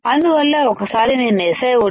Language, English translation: Telugu, I have to etch SiO 2